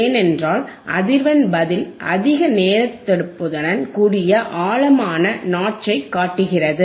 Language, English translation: Tamil, This is because a frequency response shows a deep notch with high selectivity